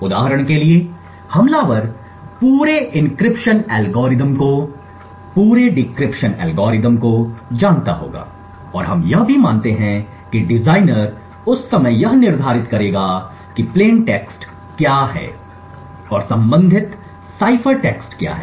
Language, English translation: Hindi, For instance, attacker would know the entire encryption algorithm the entire decryption algorithm and we also assume at the design time the attacker would be able to determine what the plain text is and the corresponding cipher text